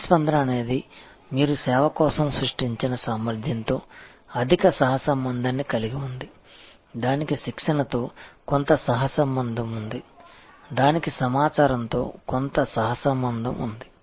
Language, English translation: Telugu, A responsiveness has a high correlation with capacity that you have created for the service, it has some correlation with training, it has some correlation with information